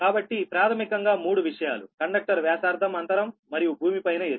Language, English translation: Telugu, so basically three things: conductor radius, spacing and height above the ground